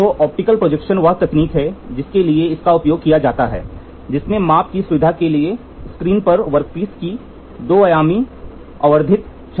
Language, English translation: Hindi, So, optical projection is the technique which is used for that in it projects a two dimensional magnified image of the workpiece onto a screen to facilitate the measurement